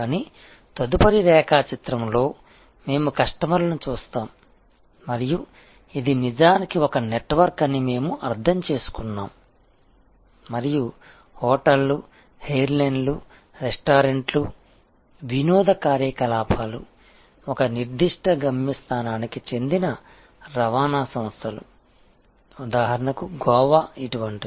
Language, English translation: Telugu, But, in the next diagram we look at customers and we have just understood that this itself is actually a network and then, there are hotels, airlines, restaurants, entertainment activities, transportation companies of a particular destination say Goa